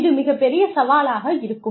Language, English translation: Tamil, That is the biggest challenge